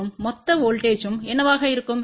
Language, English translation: Tamil, So, that will be the summation of the voltage